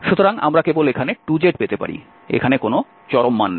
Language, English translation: Bengali, So, we can simply have here 2z, no absolute value now